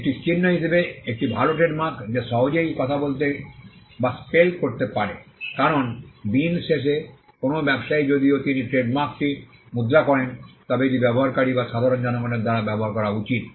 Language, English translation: Bengali, A good trademark as a mark that is easy to speak and spell, because at the end of the day a trader though he coins the trademark it should be used by the users or the general public